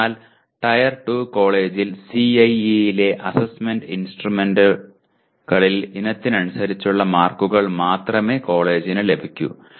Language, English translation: Malayalam, So in a Tier 2 college, the college will have only access to item wise marks in Assessment Instruments in CIE